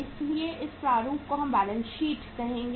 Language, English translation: Hindi, So in this format we will be taking say balance sheet